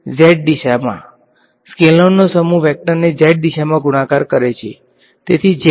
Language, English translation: Gujarati, Z direction bunch of scalars multiplying a vector in the z direction, so z